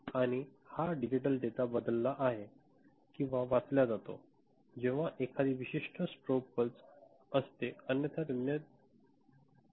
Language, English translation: Marathi, And, this digital data is shifted or read, when a particular strobe pulse is there otherwise it will remain at 0 0 ok